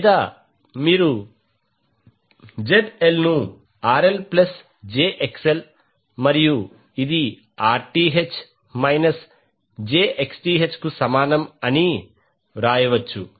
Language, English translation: Telugu, Or you can write ZL is equal to RL plus jXL is equal to Rth minus jXth